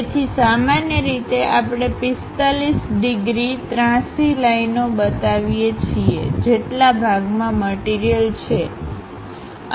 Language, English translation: Gujarati, So, usually we show 45 degrees inclined lines, where material is present